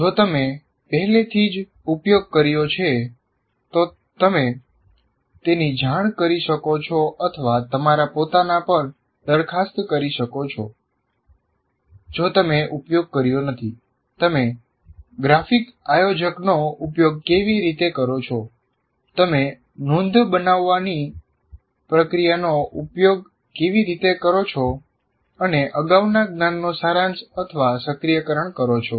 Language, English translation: Gujarati, If you have already used, one can report that, or let's say we are requesting you to kind of propose on your own if you have not used, how do you use a graphic organizer or how do you use the activity of note making and summarizing or activation of prior knowledge